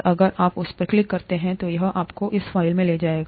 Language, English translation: Hindi, And if you click that, it will take you to this file